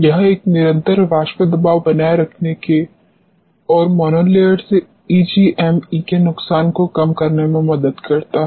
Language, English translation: Hindi, This helps in maintaining a constant vapor pressure and minimizing the loss of EGME from the monolayer